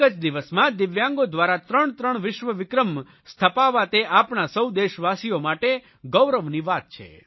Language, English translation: Gujarati, Three world records in a single day by DIVYANG people is a matter of great pride for our countrymen